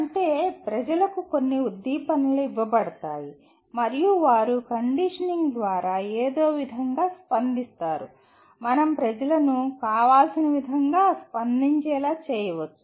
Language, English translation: Telugu, That means people are given some stimuli and they respond in some way by conditioning we can make people to respond in a desirable way